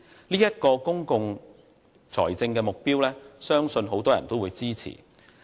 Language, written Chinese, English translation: Cantonese, 這一個公共財政目標很多人都會支持。, I believe this public financial management objective can win the support of many people